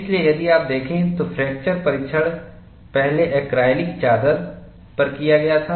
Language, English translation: Hindi, And this was used to find the fracture toughness for the acrylic sheet